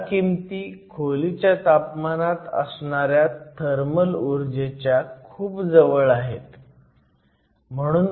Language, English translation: Marathi, All of these numbers are very close to the thermal energy at room temperature